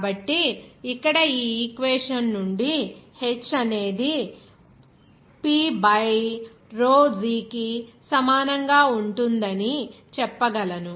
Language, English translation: Telugu, So, here this Rho gh from this equation we can say that here h will be equal to P by rho g